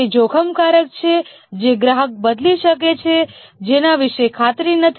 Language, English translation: Gujarati, Those are riskier, likely to change the customer is not sure about it